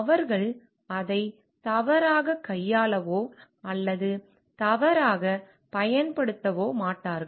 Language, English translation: Tamil, They will not going to mishandle or misuse it